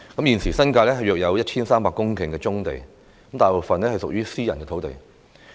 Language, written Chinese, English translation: Cantonese, 現時新界大約有 1,300 公頃棕地，大部分屬於私人土地。, There are about 1 300 hectares of browfield in the New Territories at present most of which are private sites